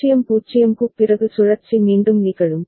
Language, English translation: Tamil, So, once it goes to 0 0, the cycle will continue